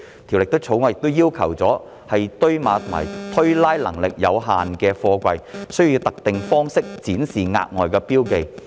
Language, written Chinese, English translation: Cantonese, 《條例草案》亦要求堆碼或推拉能力有限的貨櫃需要以特定方式展示額外的標記。, The Bill also provides for additional requirements requiring SAPs of containers with limited stacking or racking capacity to be marked in a specific manner